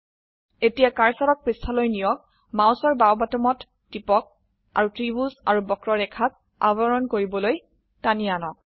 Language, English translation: Assamese, Now move the cursor to the page, press the left mouse button and drag to cover the triangle and the curve